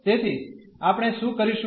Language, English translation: Gujarati, So, we will do that